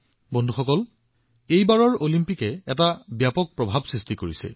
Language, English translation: Assamese, this time, the Olympics have created a major impact